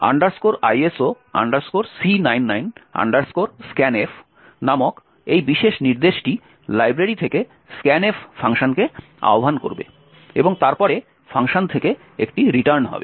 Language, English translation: Bengali, This particular instruction called ISO C99 scan f would invoke the scanf function from the library and then there is a return from the function